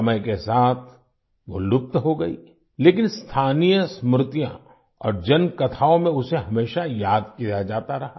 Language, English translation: Hindi, As time went by, she disappeared, but was always remembered in local memories and folklore